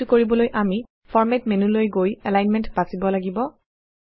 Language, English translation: Assamese, For this, let us click on Format menu and choose Alignment